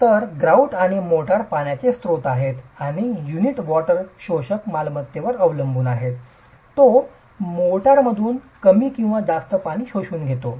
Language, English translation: Marathi, So, the grout and the motor are sources of water and depending on the water absorption property of the unit it sucks up less or more water from the mortar